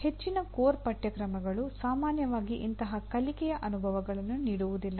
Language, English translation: Kannada, Most of the core courses do not generally provide such learning experiences